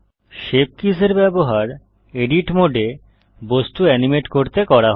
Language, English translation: Bengali, Shape Keys are used to animate the object in edit mode